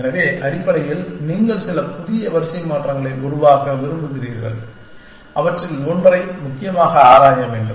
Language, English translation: Tamil, So, essentially you want to generate some new permutations and explore one of them essentially